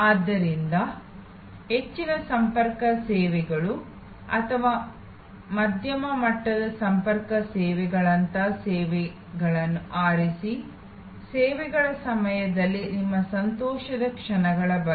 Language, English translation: Kannada, So, choose services like high contact services or medium level of contact services, thing about your moments of joy during the services